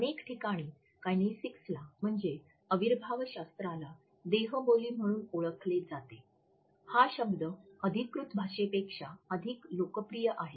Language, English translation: Marathi, In popular discourse kinesics is known as body language, the term which is more popular than the official one